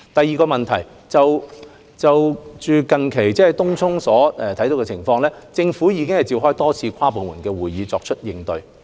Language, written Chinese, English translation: Cantonese, 二有見東涌近日的情況，政府已召開多次跨部門會議，作出應對。, 2 In view of the recent situation in Tung Chung the Government has called various inter - departmental meetings to tackle the matter